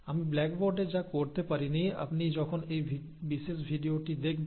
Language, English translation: Bengali, So whatever I could not do it on the blackboard will be easily understood by you when you watch this particular video